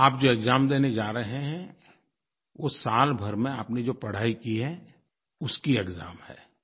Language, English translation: Hindi, See, the exam you are going to appear at is the exam of what you have studied during this whole year